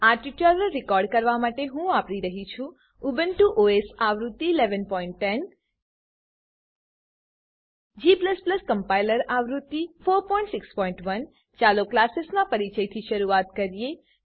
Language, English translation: Gujarati, To record this tutorial, I am using Ubuntu OS version 11.10 g++ compiler version 4.6.1 Let us start with the introduction to classes